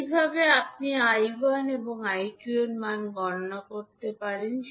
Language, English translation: Bengali, So, this way you can calculate the value of I1 and I2